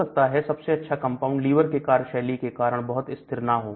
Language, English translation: Hindi, Maybe the best compound is very unstable because of the action of the liver